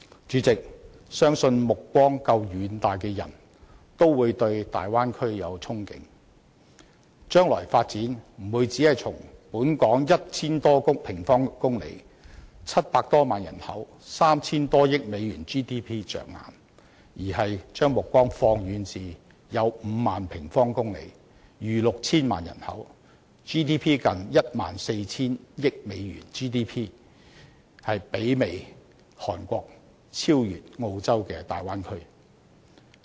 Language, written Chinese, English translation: Cantonese, 主席，相信目光夠遠大的人都會對大灣區有憧憬，將來的發展不會只從本港 1,000 多平方公里、700多萬人口、3,000 多億美元 GDP 着眼，而是要將目光放遠至5萬多平方公里、逾 6,000 萬人口、近 14,000 億美元 GDP、媲美韓國、超越澳洲的大灣區。, President I am sure any far - sighted person would look forward to the development possibilities in the Bay Area . Our future development would not be focused only in Hong Kong which has an area of over 1 000 sq km a population of over 7 million and a Gross Domestic Product GDP of over US300 billion . Rather we should look beyond and set our eyes on the Bay Area which has an area of over 50 000 sq km a population of over 60 million a GDP of nearly US1,400 billion and a performance comparable to that of South Korea but better than Australia